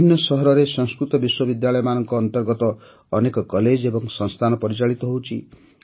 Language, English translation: Odia, Many colleges and institutes of Sanskrit universities are also being run in different cities